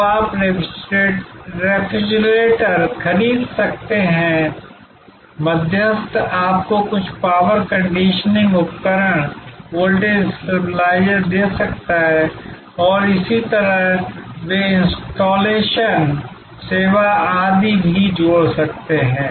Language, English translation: Hindi, So, you could buy the refrigerator, the intermediary could give you some power conditioning equipment, voltage stabilisers and so on, they would also add installation service etc